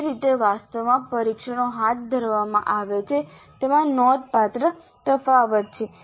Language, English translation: Gujarati, So there is considerable amount of variation in the way the actually tests are conducted